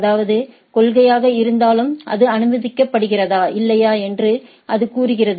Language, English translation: Tamil, You know, that means, it says that whether in it is policy it is allowed or not